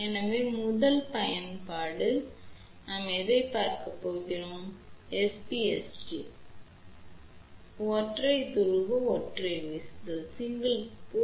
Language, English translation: Tamil, So, first application we are going to look at which is S P S T; Single Pole, Single Throw